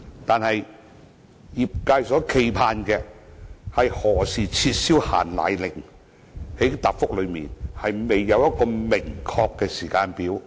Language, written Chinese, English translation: Cantonese, 可是，業界所冀盼的，是何時撤銷"限奶令"，在主體答覆中卻未有一個明確的時間表。, Yet what the industry expects is the abolition of the restriction on powdered formula but no specific timetable has been provided in the main reply